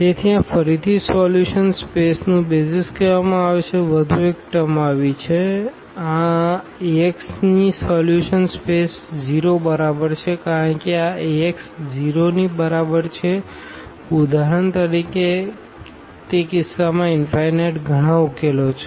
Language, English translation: Gujarati, So, these are called BASIS of the solution space again one more term has come; the solution space of this Ax is equal to 0 because this Ax is equal to 0 has infinitely many solutions in that case for instance